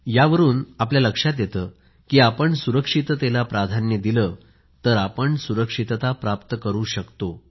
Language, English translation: Marathi, This proves that if we accord priority to safety, we can actually attain safety